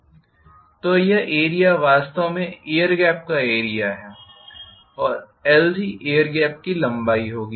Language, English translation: Hindi, So this area is actually area of air gap and this is going to be the length of the air gap